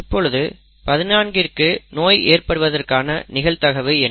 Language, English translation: Tamil, Now what is the probability that 14 is affected